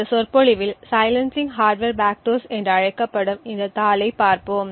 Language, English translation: Tamil, In this lecture we will be looking at this paper called Silencing Hardware Backdoors